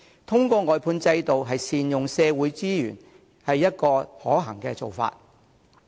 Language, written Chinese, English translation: Cantonese, 透過外判制度善用社會資源，是一個可行的做法。, Optimizing the use of social resources through the outsourcing system is a feasible method